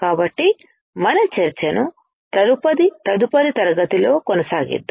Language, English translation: Telugu, So, let us continue our discussion in the next class